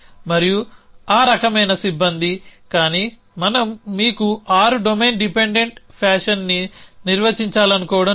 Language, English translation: Telugu, And that kind of staff, but we are we do not want to define you the 6 domain dependent fashion